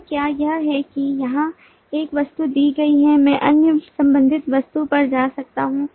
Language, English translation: Hindi, now, is it that, given an object here, i can go to the other related object